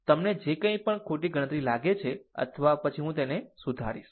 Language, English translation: Gujarati, Anything you find that wrong calculation or anything then I will rectify it